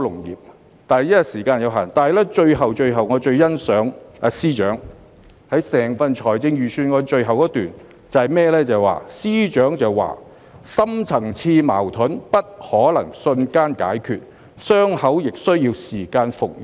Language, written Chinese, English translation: Cantonese, 由於時間有限，我最欣賞整份預算案的最後一段，司長提到"深層次的矛盾不可能瞬間解決，傷口亦需要時間復元。, Due to the time restraints let me say that I appreciate the last paragraph of the Budget most . FS said Deep - seated conflicts cannot be resolved instantly nor can wounds be healed overnight